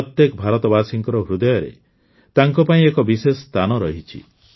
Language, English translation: Odia, He has a special place in the heart of every Indian